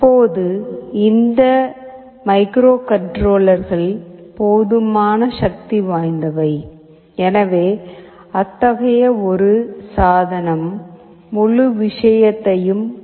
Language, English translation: Tamil, Now these microcontrollers are powerful enough, such that a single such device will be able to control the entire thing